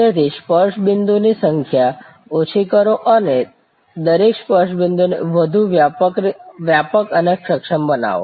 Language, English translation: Gujarati, So, reduce the number of touch points and make each touch point more comprehensive and more capable